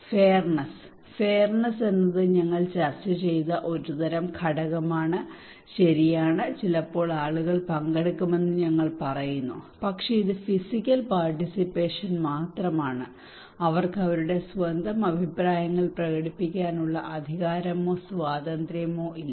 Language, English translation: Malayalam, Fairness: fairness is a kind of component that we discussed that we are saying that okay is sometimes people participate but it is just a physical participations they do not have any power or the freedom to express their own opinions